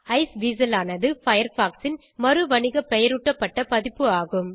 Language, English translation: Tamil, Iceweasel is the re branded version of Firefox